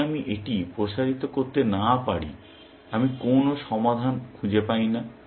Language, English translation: Bengali, If I cannot expand this, I do not find any solution